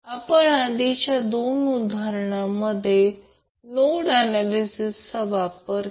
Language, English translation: Marathi, In the previous two examples, we used nodal analysis